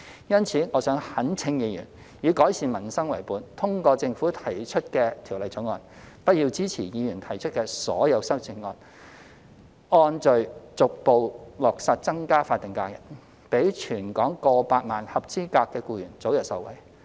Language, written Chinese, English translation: Cantonese, 因此，我懇請議員以改善民生為本，通過政府提出的《條例草案》，不要支持議員提出的所有修正案，按序逐步落實增加法定假日，讓全港過百萬的合資格僱員早日受惠。, I therefore implore Members to support the Bill introduced by the Government to improve peoples livelihood and not to support all the amendments proposed by Members so that we can increase SHs in a progressive and orderly manner thereby enabling over a million eligible employees in Hong Kong to benefit as early as possible